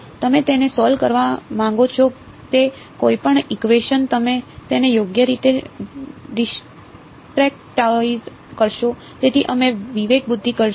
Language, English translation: Gujarati, Any equation you want to solve it, what would you do discretize it right, so we would do a discretisation